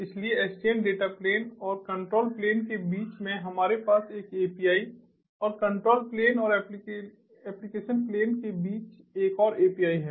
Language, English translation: Hindi, so in sdn, between the data plane and between the data plane and the control plane, we have an api and another api between the control plane and the application plane